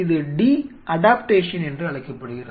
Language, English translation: Tamil, This process is called the de adaptation